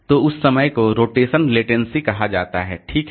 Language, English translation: Hindi, So, that is called rotational latency